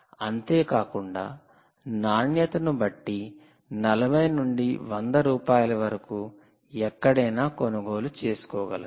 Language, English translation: Telugu, right, you can buy this for anywhere from forty to hundred rupees, depending on the quality